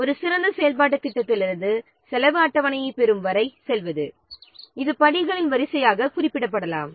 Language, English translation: Tamil, So, going from an ideal activity plan till getting the cost schedule it can be represented as a sequence of steps